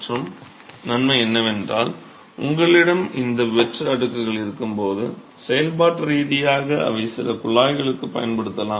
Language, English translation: Tamil, The other advantage is that when you have these hollow slabs, functionally they may be used for some ducting as well